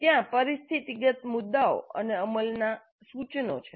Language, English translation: Gujarati, There are situational issues and implementation tips